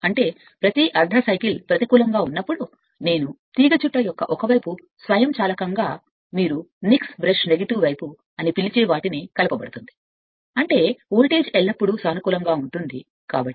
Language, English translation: Telugu, That means, every half cycle I mean when it is going to the negative that one side of the coil automatically connected to the your what you call nik’s brush right negative side such that your what you call that you are voltage always will remain your in the positive, so DC